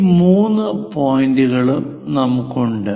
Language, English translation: Malayalam, These three points are given